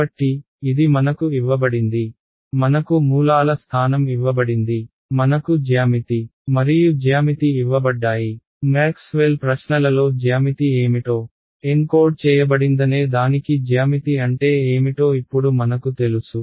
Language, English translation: Telugu, So, this is what is given to me, I am given the position of the sources, I am given the geometry and my geometry by now we know what do we mean by geometry into what is geometry encoded in Maxwell questions